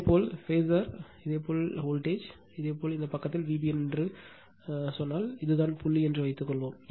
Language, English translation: Tamil, I mean suppose if your phasor if your voltage you say V b n in this side, suppose this is the point